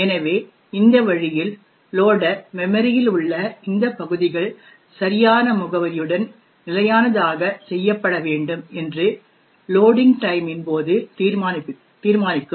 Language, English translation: Tamil, So, in this way the loader would determine at the time of loading that these regions in memory have to be fixed with the correct address